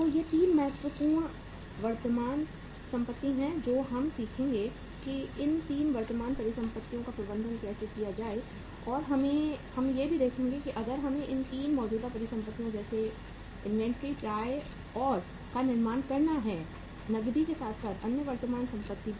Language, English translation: Hindi, So these are the 3 important current assets which we will be learning how to manage these 3 current assets and then we will see that if we have to build up these 3 current assets like inventory, receivables, and the cash as well as the other uh current assets also